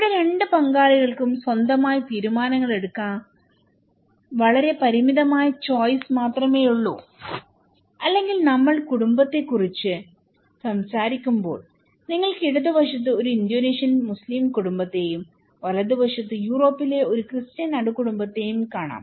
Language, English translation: Malayalam, Here, the two partners have very limited choice to make decisions by their own or when we are talking about family, you can look in the left hand side an Indonesian Muslim family, in the right hand side, a Christian nuclear family in Europe so, they are very different but they are both considered as family, okay